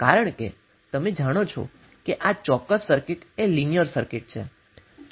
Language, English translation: Gujarati, Because you know that this particular circuit is a linear circuit